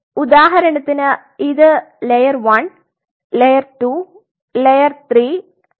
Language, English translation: Malayalam, So, for example, layer 1 layer 2 layer 3 layer 4